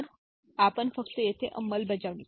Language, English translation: Marathi, So, we just so the implementation here